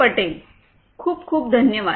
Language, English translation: Marathi, Patel, thank you so much